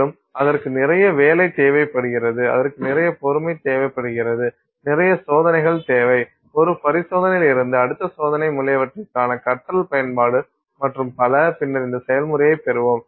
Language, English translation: Tamil, And so that requires a lot of work, it requires a lot of patience, a lot of skill, application of you know learning from one experiment to the next experiment etc and so on and so then you get this process